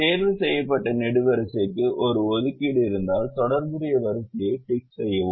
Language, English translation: Tamil, and if a ticked column has an assignment, tick the corresponding row